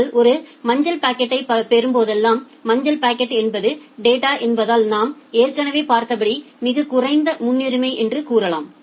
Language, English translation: Tamil, And whenever you are getting a yellow packet, say yellow packet means data it is the lowest priority as we have seen